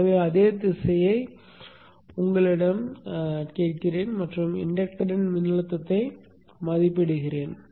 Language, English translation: Tamil, So let me assume the same direction and evaluate for the voltage across the inductor